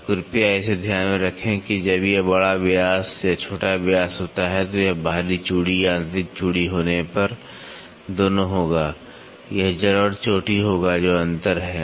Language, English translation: Hindi, So, please keep this in mind when it is major diameter or minor diameter it will be both when it is external thread internal thread it will be lit roots and crest that is the difference